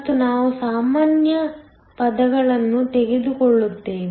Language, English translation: Kannada, And, we take out the common terms